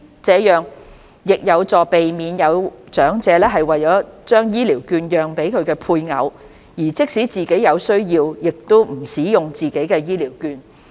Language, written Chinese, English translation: Cantonese, 這樣亦有助避免有長者為了將醫療券讓予配偶，而即使自己有需要也不使用自己的醫療券。, This can also help prevent the elders from transferring the vouchers to their spouse at the expense of their own needs